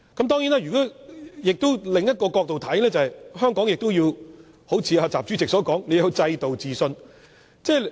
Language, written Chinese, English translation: Cantonese, 當然，從另一個角度來看，香港亦好像習主席所說，要對本身的制度自信。, Of course from another perspective as President XI said Hong Kong must have confidence in its own systems